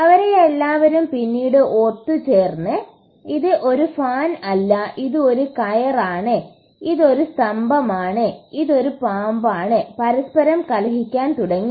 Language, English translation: Malayalam, They all came together later and started quarrelling amongst each other saying no this is a fan, this is a rope, this is a pillar, this is a snake, none of them really agreed upon this